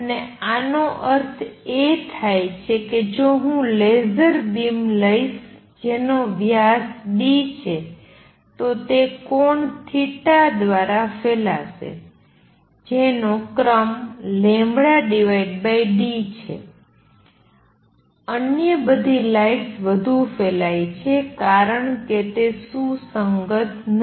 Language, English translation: Gujarati, And laser follows this that means if I take a laser beam which is of diameter d, it will spread by angle theta which is of the order of lambda by d, all other lights spread much more because they are not coherent